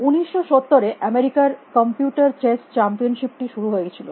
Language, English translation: Bengali, In 1970 the American computer chess championship started